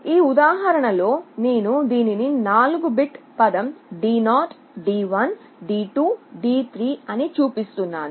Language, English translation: Telugu, In this example, I am showing it is a 4 bit word D0 D1 D2 3